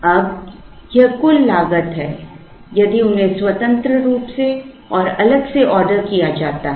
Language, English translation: Hindi, Now, this is the total cost incurred if they are ordered independently and separately